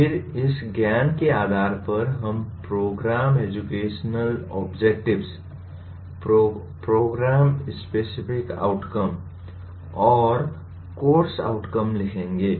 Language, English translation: Hindi, Then based on this knowledge, we what you call, we write Program Educational Objectives, Program Specific Outcomes and Course Outcomes